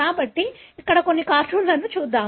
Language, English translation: Telugu, So, let us see some cartoon here